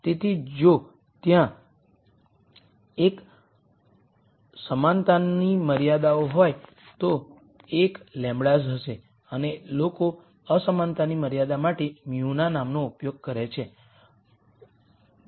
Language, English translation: Gujarati, So, if there are l equality constraints, there will be l lambdas and people use the nomenclature of mu for the inequality constraints